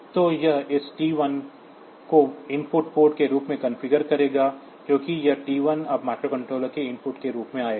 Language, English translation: Hindi, So, this will make this T 1 configured as input port, because this T 1 will be coming as input to the microcontroller now